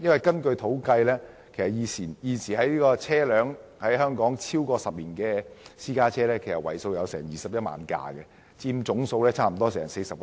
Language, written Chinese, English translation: Cantonese, 據統計，在香港，現時車齡超過10年的私家車約有21萬輛，佔總數近 40%。, Statistics show that there are around 210 000 private cars aged 10 years above in Hong Kong and this figure accounts for nearly 40 % of the total